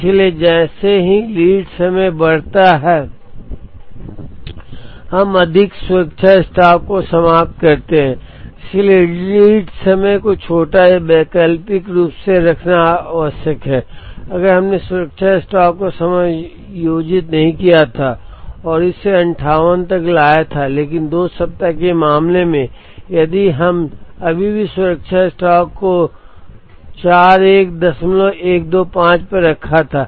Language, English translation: Hindi, So, as lead time increases we end up carrying more safety stock, so it is necessary to keep the lead time small or alternately, if we had not adjusted the safety stock and brought it up to 58 but, in the 2 week case if we had still kept the safety stock at 41